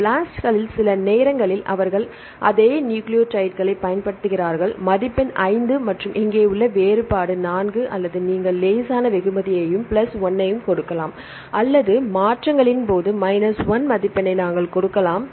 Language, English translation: Tamil, In the blasts sometimes they use the same nucleotides is score 5 and the difference here 4 or you can give the mild reward plus 1 or we can give the score of minus 1 in the case of transitions; what are transitions; what is called transition